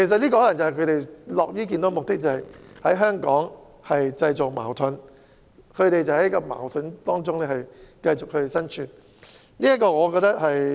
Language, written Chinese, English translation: Cantonese, 這可能是他們樂於見到的結果，便是在香港製造矛盾，而他們就在矛盾中生存。, May be they are happy to see conflicts created in Hong Kong and they survive amidst such conflicts